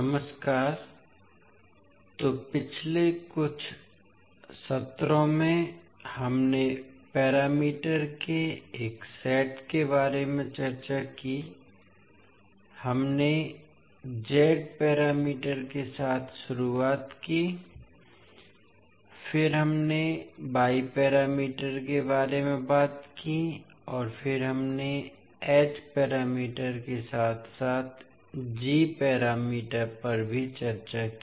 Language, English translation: Hindi, Namaskar, so in last few sessions we discussed about a set of parameters, we started with Z parameters, then we spoke about Y parameters and then we discussed H parameters as well as G parameters